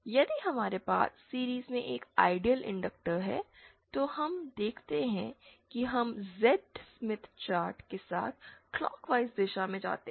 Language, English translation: Hindi, If we have an ideal inductor in series, then we see that we can go along in clockwise direction along the Z Smith chart